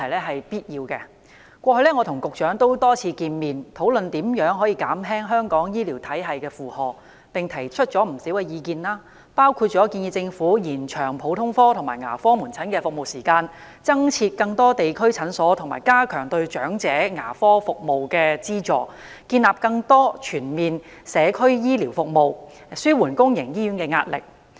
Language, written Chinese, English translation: Cantonese, 我過去曾多次與局長會面，討論如何減輕香港醫療體系的負荷，並且提出了不少意見，包括建議政府延長普通科及牙科門診服務時間、增設更多地區診所及加強對長者牙科服務的資助、建立更多全面的社區醫療服務，以紓緩公營醫院的壓力。, I have met with the Secretary many times to discuss how best to reduce the heavy burden of our healthcare system . I have put forward many recommendations such as lengthening the service hours of general and dental outpatient clinics constructing more district clinics increasing the dental subsidies for the elderly introducing more integrated community healthcare services and easing the pressure on public hospitals